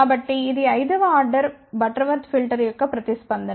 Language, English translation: Telugu, So, this is the response for a fifth order Butterworth filter